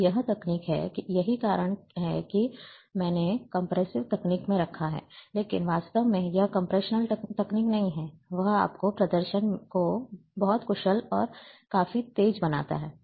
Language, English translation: Hindi, And this is the technique, in, that is why I have put in the compressional techniques, but exactly it is not compressional technique, it is it makes your display very efficient and quite fast